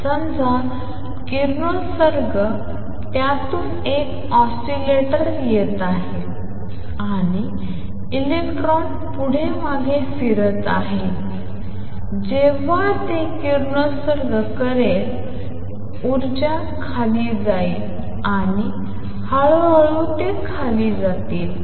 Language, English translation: Marathi, Suppose the radiation is coming from it an oscillator and electron oscillating back and forth when it radiates will radiate the energy will go down and slowly it is amplitude will go down